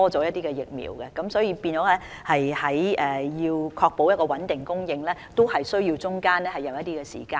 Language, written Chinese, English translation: Cantonese, 大家要明白，訂購疫苗和確保穩定供應也需要一定的時間。, We should understand that it takes time to order vaccines and ensure a stable supply